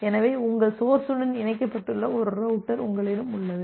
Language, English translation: Tamil, So, you have one router with which your source is getting connected